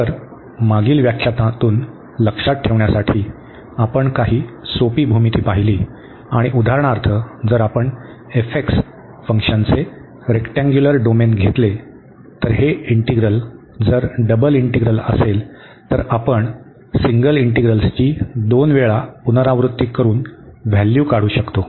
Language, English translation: Marathi, So, just to recall from the previous lecture, we have gone through some simple geometry and for example, if you take the rectangular domain of the function f x then this integral the double integral, we can evaluate by repeating the single integrals 2 time